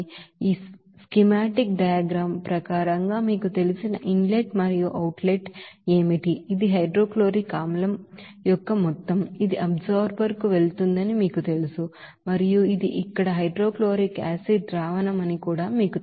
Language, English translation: Telugu, What are the you know inlet and outlet of course, as per this schematic diagram, this is the amount of hydrochloric acid which is you know are going to that absorber and this is here aqueous you know hydrochloric acid solution